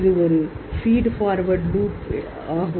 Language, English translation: Tamil, This is a feed forward loop